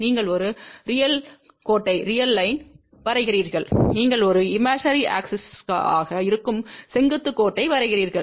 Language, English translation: Tamil, You draw a real line and you draw vertical line which is a imaginary axis